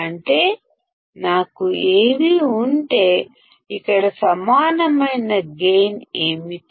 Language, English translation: Telugu, It means that if I have Av then what is the gain equal to here